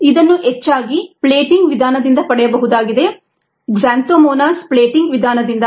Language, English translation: Kannada, this was most likely obtained by the plating method, xanthomonas plating method